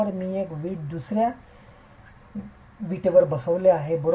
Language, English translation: Marathi, I am just stacking one brick above another